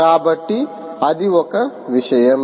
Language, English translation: Telugu, ok, so that is one thing